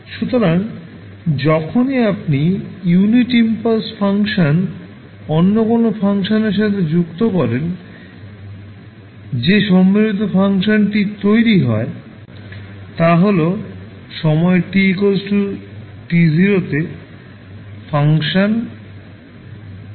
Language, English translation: Bengali, So, whenever you associate unit impulse function with any other function the value of that particular combined function will become the function value at time t is equal to t naught